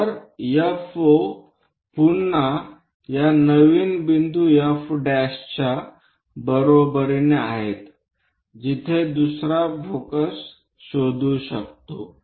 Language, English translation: Marathi, So, FO again equal to this new point F prime where another focus one can really locate it